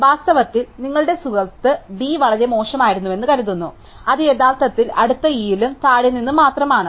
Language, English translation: Malayalam, In fact, your friend thinks D was so bad, that is actually only next E and from the bottom